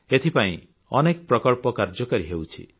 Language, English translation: Odia, There are many projects under way